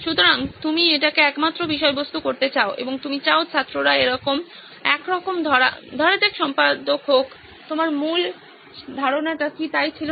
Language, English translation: Bengali, So you want that to be the only content and but you want also students to sort of, let be editor, is not that what your original idea was